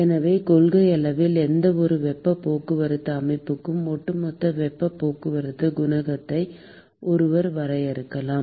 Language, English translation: Tamil, So, in principle one could define a overall heat transport coefficient for any heat transport system